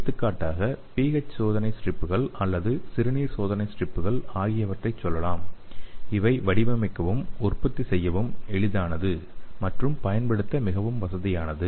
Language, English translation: Tamil, Some of the examples are pH test strips or urine test strips, so these are simple to design and easy to manufacture and it is very convenient to use okay so how they make the pH test strips